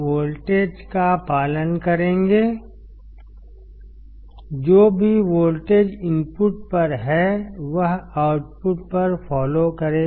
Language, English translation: Hindi, The voltage will follow; whatever voltage is at input it will follow at the output